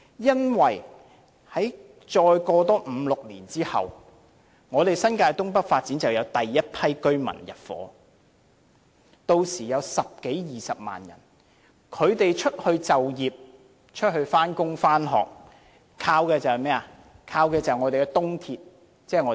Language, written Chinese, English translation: Cantonese, 因為在五六年後，新界東北發展便會有第一批居民入伙，屆時有十多二十萬人，他們出外上班、上課，就是依靠東鐵。, It is because after five or six years there will be the intake of the first batch of residents between 100 000 to 200 000 people under the North East New Territories development and they will count on the East Rail Line when commuting to work and to school in other areas